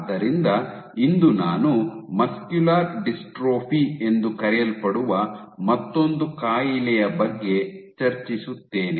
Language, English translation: Kannada, So, today I will discuss about another disease muscular dystrophy